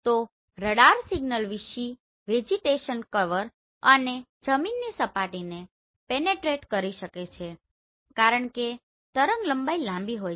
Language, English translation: Gujarati, So radar signal can penetrate vegetation cover and soil surfaces why because wavelength is long